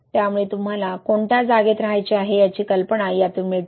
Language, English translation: Marathi, So, it gives a very good idea like where do you want to be, right